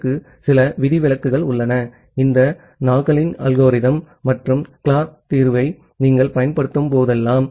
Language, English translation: Tamil, There are certain exception to that because; whenever you are applying this Nagle’s algorithm and the Clark solution